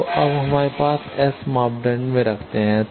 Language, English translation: Hindi, So, now, we put it into the S parameter